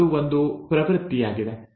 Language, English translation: Kannada, Now that is a tendency